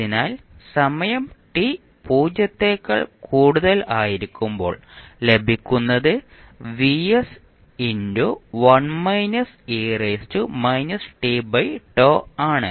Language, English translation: Malayalam, So, what will happen at time t is equal to 0